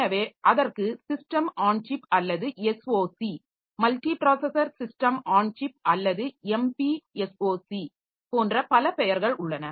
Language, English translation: Tamil, So, there are several names for that like system on chip, SOC, multi processor system on chip or MP S O C